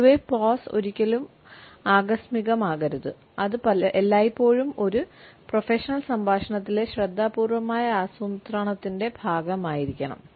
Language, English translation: Malayalam, In general we can say that the pause should never be accidental it should always be a part of careful planning in a professional dialogue